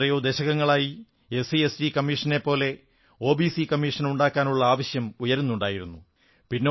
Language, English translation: Malayalam, As you know, a demand to constitute an OBC Commission similar to SC/ST commission was long pending for decades